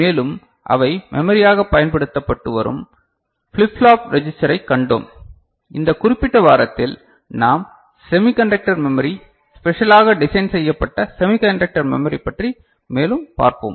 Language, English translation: Tamil, And ,we have seen flip flop register they are being used as memory and in this particular week we shall look more into semiconductor memory chips, specially designed semiconductor memory chips